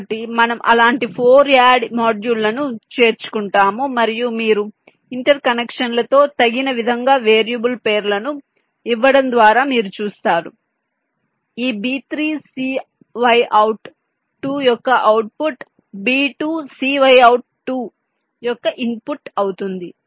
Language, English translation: Telugu, so you instantiate or we include four such add modules and you see, just by giving the variable names appropriately, you provide with the interconnections, like your output of this b three, c y out, two will be the input of this c out two, a, b, two